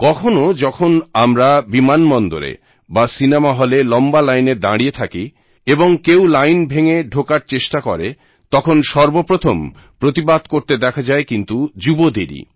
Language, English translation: Bengali, There are times when we see them at an airport or a cinema theatre; if someone tries to break a queue, the first to react vociferously are these young people